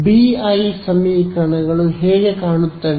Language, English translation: Kannada, So, what will the BI equations look like